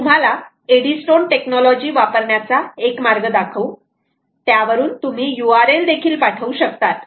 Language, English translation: Marathi, we will give you a way of using eddystone technology where by i we can push an u r l as well